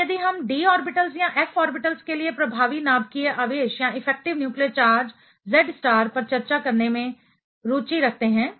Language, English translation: Hindi, Now, if we are interested in discussing the effective nuclear charge Z star for d orbitals or f orbitals